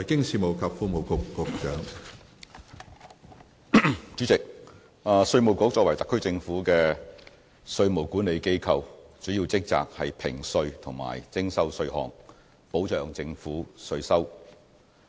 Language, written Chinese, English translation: Cantonese, 主席，稅務局作為特區政府的稅務管理機構，主要職責是評稅及徵收稅項，保障政府稅收。, President as the tax administration of the Government of the Hong Kong Special Administrative Region the Inland Revenue Department IRD is mainly responsible for the assessment and collection of taxes to safeguard government revenue